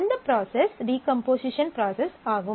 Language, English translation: Tamil, This is called decomposition